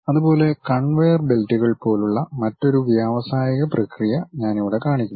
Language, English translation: Malayalam, Similarly, here I am showing you another industrial process, something like conveyor belts